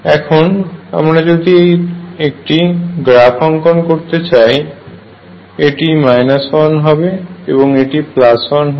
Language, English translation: Bengali, Now, if I have to plot is again and this is 1 and minus 1